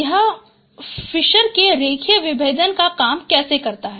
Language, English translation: Hindi, This is how the Fisher's linear discriminant works